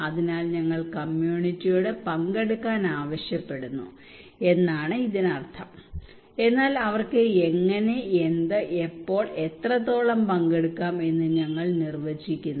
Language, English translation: Malayalam, So it means that we are asking community to participate, but we are defining that how and what, when and what extent they can participate